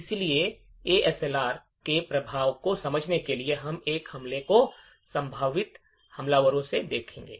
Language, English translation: Hindi, So, in order to understand the impact of ASLR, we would look at these attacks from the attackers prospective